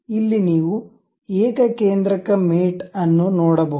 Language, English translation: Kannada, Here you can see concentric mate